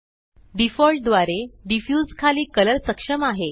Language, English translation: Marathi, By default, Color under Diffuse is enabled